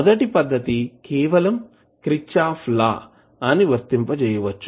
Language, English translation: Telugu, First is that you can simply apply kirchhoff’s law